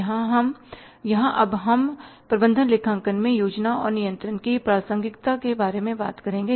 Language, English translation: Hindi, Here now we will talk about the relevance of planning and controlling in management accounting